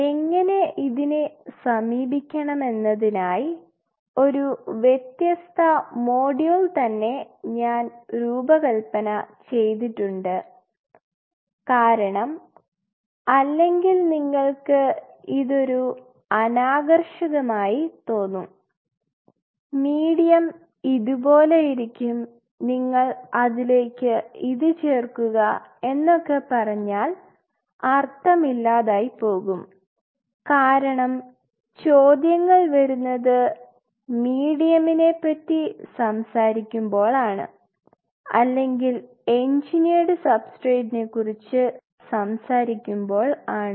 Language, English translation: Malayalam, I designed a different module for this how to approach this because otherwise if you look at it these are fairly drab things like you know I say a medium is like this you add that and like which does not make sense because the question comes when we talk about medium or we talk about engineered substrate